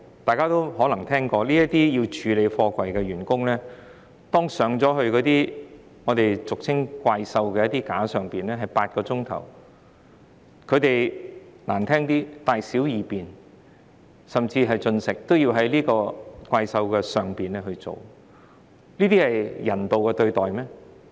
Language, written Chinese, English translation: Cantonese, 大家可能聽過，處理貨櫃的工人需要坐上俗稱的"怪獸架"長達8小時，難聽點說，他們的大小二便，甚至進食，均要在"怪獸架"上進行，難道這是人道對待嗎？, Perhaps Members know that some workers who are responsible for handling containers have to sit in the gantry crane for as long as eight hours . To put it in rather unpleasant terms they have to eat and shit inside the crane control cabins